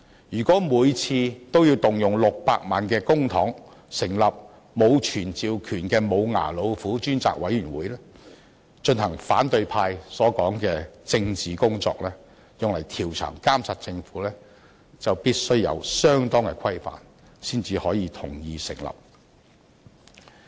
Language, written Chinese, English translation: Cantonese, 如果每次均要動用600萬元公帑成立沒有傳召權的"無牙老虎"專責委員會，進行反對派所說的調查和監察政府的"政治工作"，就必須有相當的規範才可同意成立。, If each time we have to spend 6 million to establish a select committee without summoning power which is like a toothless tiger to conduct the political work of investigating and monitoring the Government as claimed by opposition Members we have to prescribe certain conditions before consent can be given for its establishment